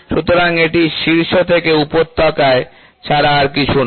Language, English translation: Bengali, So, that is nothing, but peak to valley